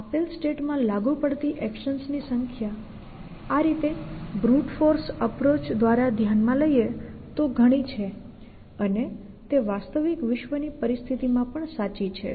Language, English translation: Gujarati, The number of actions which are applicable in any given state is thus too many to we consider by a grout force approach and that is true in any real world situations value essentially